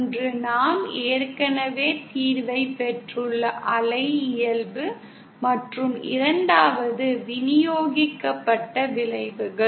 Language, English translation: Tamil, One is the wave nature for which we have already obtained the solution and the 2nd is the distributed effects